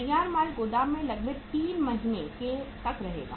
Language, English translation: Hindi, Finished goods will stay in the warehouse for about 3 months